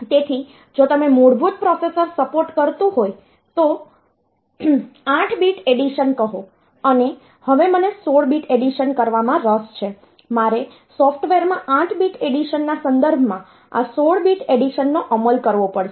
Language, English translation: Gujarati, So, if you are if the basic processor is supporting say 8 bit addition and now I am interested to do a 16 bit addition I have to implement in software this 16 bit addition in terms of 8 bit additions